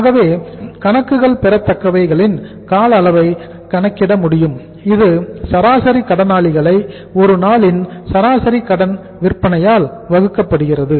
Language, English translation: Tamil, So in this case the accounts receivables here the requirement is average sundry debtors divided by the average credit sales per day